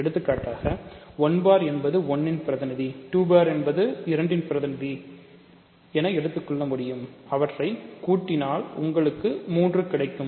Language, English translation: Tamil, For example, 1 bar you can take representative 1, 2 bar you can represent take representative 2 and you add them, you get 3